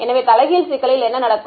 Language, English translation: Tamil, So, what happens in the inverse problem